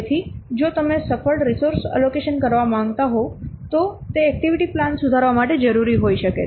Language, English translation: Gujarati, So, if you want to make a successful resource allocation, it might be necessary to revise the activity plan